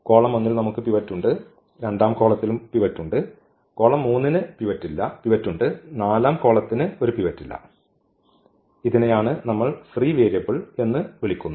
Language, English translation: Malayalam, What we have observed that there are these 3 pivots in column 1 we have pivot, in column 2 also we have pivot, column 3 also has a pivot while the column 4 does not have a pivot and this is what we call the free variable